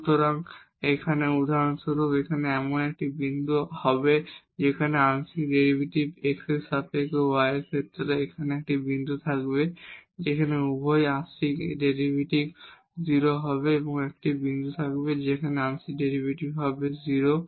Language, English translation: Bengali, So, this here for example, will be the point where the partial derivative will be 0 with respect to x and also with respect to y there will be a point here where both the partial derivatives would be 0, there will be a point here where the partial derivatives will be 0